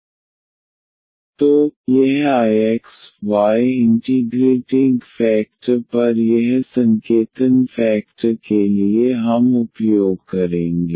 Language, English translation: Hindi, So, this I x, y usually the notation we will use for this integrating factor